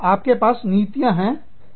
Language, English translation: Hindi, You will have, policies